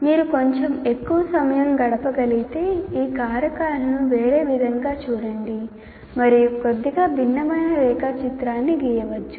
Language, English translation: Telugu, And if you spend a little more time and look at these group these factors together in a different way and draw a slightly different diagram, doesn't matter